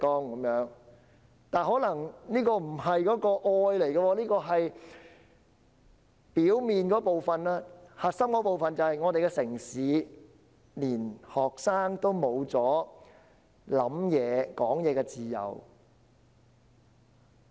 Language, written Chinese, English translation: Cantonese, 然而，這可能只是愛的表面部分，核心的部分是在我們的城市，連學生也失去了思考及言論的自由。, And yet probably this is only superficial love . The crux is in our city even students have lost their freedom of thought and speech